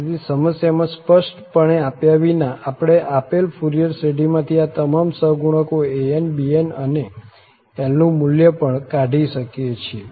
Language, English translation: Gujarati, So, without explicitly given in the problem, we can extract from the given Fourier series, all these coefficients an's, bn's and also this interval L